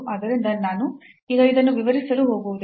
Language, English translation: Kannada, So, in I am not going to explain this now